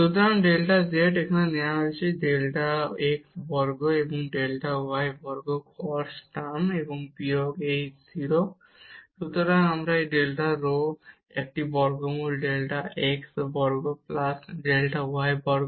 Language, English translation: Bengali, So, the delta z which is given here delta x square and delta y square cos term and minus this 0; so, and this delta rho is a square root delta x square plus delta y square